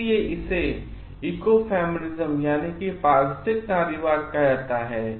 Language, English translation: Hindi, That is why this is called ecofeminism